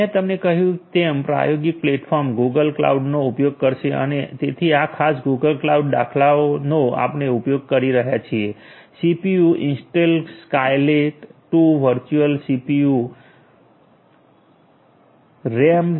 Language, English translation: Gujarati, The experimental platform as I told you will be using the Google cloud and so this particular Google cloud instance we are using so, with the CPU, Intel Skylake 2 virtual CPUs RAM 7